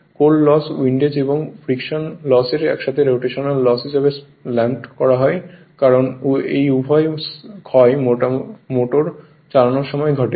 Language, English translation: Bengali, The core loss windage and friction loss together are lumped as rotational loss as both these losses occur when the motor is running right